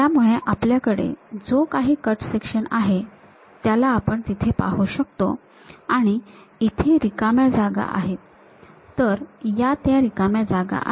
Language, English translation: Marathi, So, whatever that cut section we have that we are able to see there and this white blank space, that white blank space is that